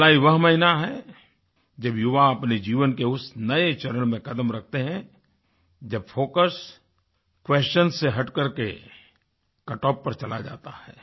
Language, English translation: Hindi, July is the month when the youth step into a new phase of life, where the focus shifts from questions and veers towards cutoffs